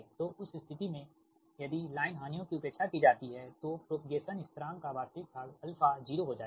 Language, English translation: Hindi, so in that case, if line losses are neglected, then the real part of the propagation constant, alpha, will become zero